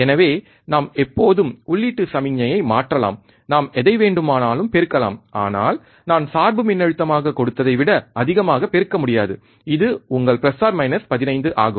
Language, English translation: Tamil, So, we can always change the input signal, we can always amplify whatever we want, but we cannot amplify more than what we I have given as the bias voltage, which is your plus minus 15